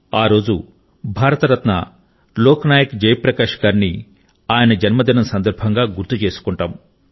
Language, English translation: Telugu, This day, we remember Bharat Ratna Lok Nayak Jayaprakash Narayan ji on his birth anniversary